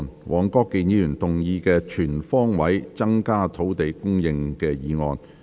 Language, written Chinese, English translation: Cantonese, 黃國健議員動議的"全方位增加土地供應"議案。, Mr WONG Kwok - kin will move a motion on Increasing land supply on all fronts